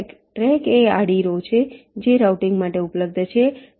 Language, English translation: Gujarati, track is a horizontal row that is available for routing